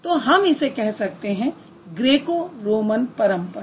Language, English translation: Hindi, It was different from the Greco Roman traditions